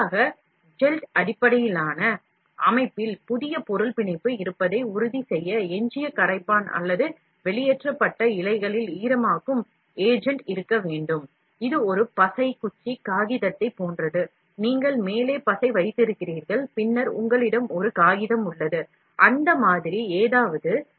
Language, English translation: Tamil, Alternatively, gelled based system must contain residual solvent, or wetting agent in the extruded filament to ensure the new material will bond, it is just like a glue stick paper, you have glue put on the top, and then you have a paper so that something like that